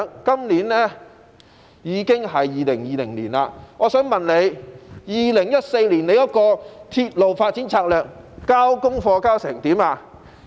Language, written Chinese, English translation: Cantonese, 今年已經是2020年，我想問局長，就2014年的鐵路發展策略，他的功課做得怎樣？, It is now 2020 and I would like to ask the Secretary this Concerning this 2014 railway development strategy how well has he done his homework?